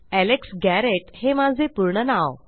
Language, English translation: Marathi, My fullname was Alex Garrett